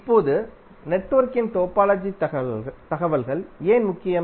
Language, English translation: Tamil, Now, why the topological information of the network is important